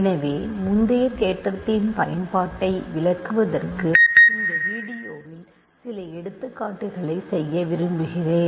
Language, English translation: Tamil, So, I want to do some examples in this video to illustrate the application of the previous theorem